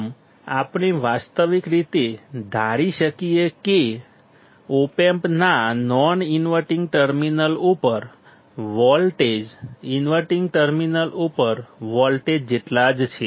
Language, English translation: Gujarati, Thus, we can realistically assume that voltage at the non inverting terminal of the op amp is equal to the voltage at the inverting terminal